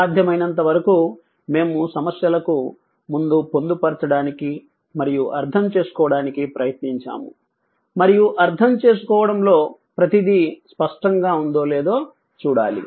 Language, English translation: Telugu, So, as many as I mean as much as possible we have tried to incorporate prior to the problems and understand and we have to see that whether everything in understanding is clear or not